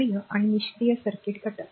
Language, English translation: Marathi, So, active and passive circuit elements